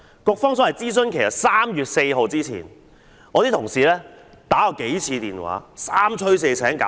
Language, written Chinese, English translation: Cantonese, 所謂的諮詢期限為3月4日，我的同事曾致電數次，三催四請。, As the so - called consultation would end on 4 March my colleagues had called the Bureau repeatedly to urge for its response